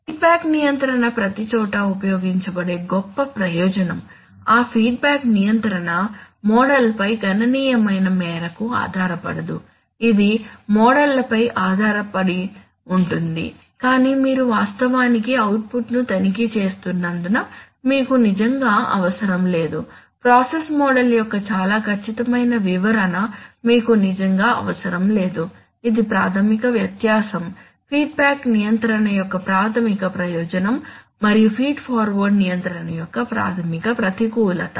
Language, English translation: Telugu, And it is the greatest advantage for which feedback control is used everywhere, that feedback control does not depend to any significant extent on the model, it does depend on the models but since you are actually checking the output, so you do not really need a very accurate description of the process model, this is a fundamental difference, fundamental advantage of feedback control and a fundamental disadvantage of feed forward control